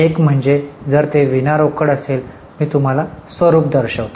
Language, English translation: Marathi, One is if it is non cash, I will just show you the format